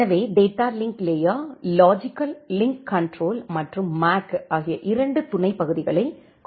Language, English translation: Tamil, So, the data link layer has two sub part the logical link control and the MAC